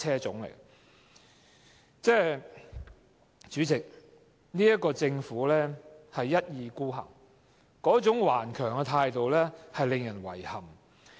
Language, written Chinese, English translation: Cantonese, 主席，政府一意孤行，頑強的態度令人感到遺憾。, President it is regrettable that the Government has acted wilfully and obstinately